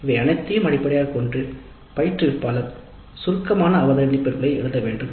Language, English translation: Tamil, Based on all these the instructor must write the summary observations